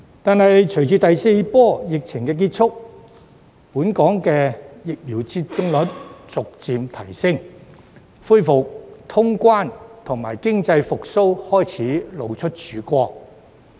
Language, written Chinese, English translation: Cantonese, 但是，隨着第四波疫情結束，以及本港的疫苗接種率逐步提升，恢復通關和經濟復蘇的曙光開始展現。, However the end of the fourth wave of the epidemic and the gradual increase in Hong Kongs vaccination rate have brought a ray of hope for resumption of cross - boundary travel and economic recovery